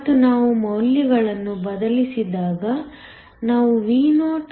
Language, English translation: Kannada, And, when we substitute the values we get Vo to be 0